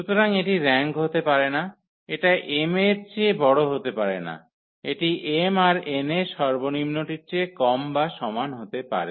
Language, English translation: Bengali, So, it cannot be the rank, cannot be greater than m the minimum it has to be less than or equal to the minimum of this m and n this number